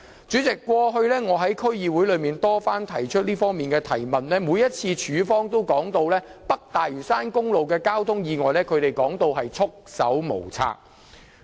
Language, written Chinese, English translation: Cantonese, 主席，我過去亦曾多次在區議會會議中提出有關質詢，但當局每次也說它們對北大嶼山公路的交通意外是束手無策的。, President I have asked the related questions many times at the District Council meetings but the authorities repeatedly said that they were at the end of their tethers